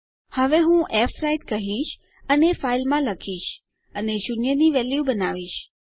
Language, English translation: Gujarati, Now Ill say fwrite and Ill write to file and Ill create a value of zero